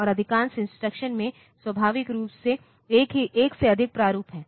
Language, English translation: Hindi, And most of the instructions have more than one format naturally